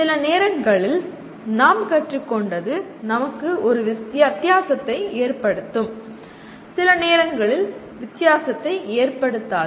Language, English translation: Tamil, And sometimes whatever we learned can make a difference to us, sometimes may not make a difference to us